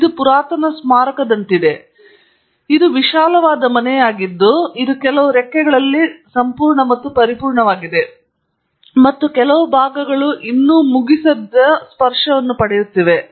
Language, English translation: Kannada, It is like an ancient monument, it is a vast house, it is in some wings have complete and perfect and some parts are still receiving finishing touches